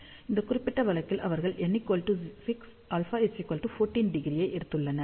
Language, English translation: Tamil, 01, so in this particular case, they have taken n equal to 6, alpha equal to 14 degree